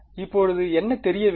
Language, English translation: Tamil, And what is unknown now